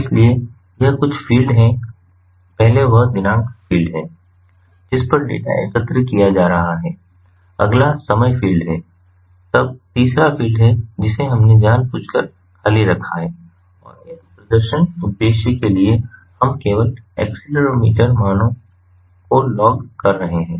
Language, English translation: Hindi, first is the date field on which the data is being collected, next is the time, then third fields we have kept intentionally blank and for this demonstration purpose, we are only logging the accelerometer values